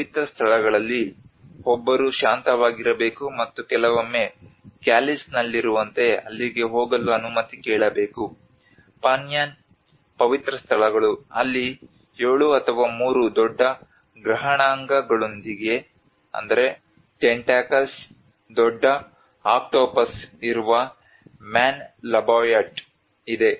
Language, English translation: Kannada, So when in sacred places one must remain quiet and sometimes ask permission for being there like in Calis have sacred places Panyaan where there is a manlalabyot a large octopus with 7 or 3 large tentacles